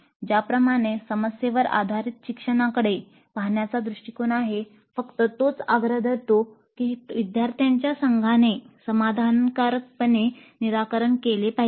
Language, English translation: Marathi, Whereas in the problem based approach to instruction, it only insists that the students teams must solve the problem satisfactorily